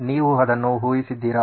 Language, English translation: Kannada, Have you guessed it